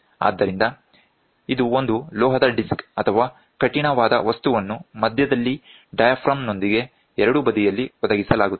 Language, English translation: Kannada, So, this enables a metal disc or rigid material is provided at the center with a diaphragm on either side